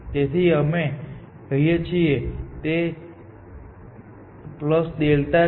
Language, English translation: Gujarati, So, let us say this is plus delta